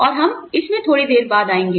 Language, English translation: Hindi, And, we will come to that, a little later